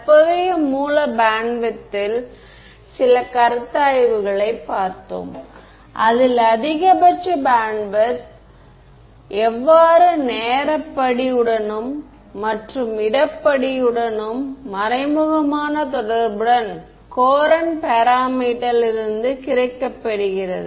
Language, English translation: Tamil, Then we looked at some considerations on the current source bandwidth and how that the maximum bandwidth gets indirectly related to the time step and therefore, the space step from the courant parameter ok